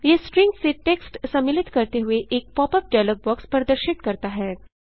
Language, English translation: Hindi, It shows a pop up dialog box containing text from the string